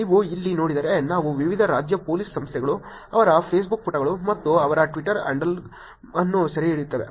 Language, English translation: Kannada, If you see here, we have been capturing different State Police Organizations, their Facebook pages and their Twitter handle